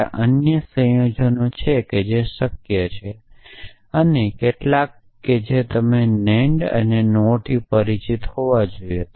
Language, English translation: Gujarati, There are other combination which are possible and some that you must be familiar with the NAND and NOR